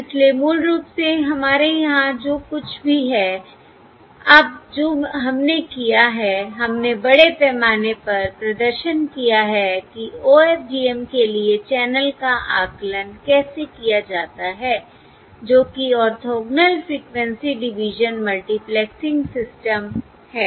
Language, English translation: Hindi, now, what we have done, we have comprehensively demonstrated how to do channel estimation for an OFDM, that is, Orthogonal Frequency Division Multiplexing System